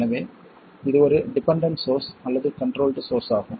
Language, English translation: Tamil, So it's a dependent source or a controlled source